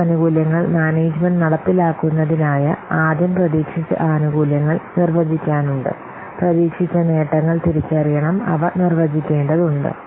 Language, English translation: Malayalam, In order to carry out this benefits management, we have to define first, we have to first define the expected benefits